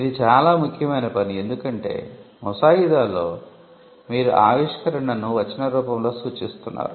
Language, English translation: Telugu, This is important because, in drafting you are representing the invention in a textual form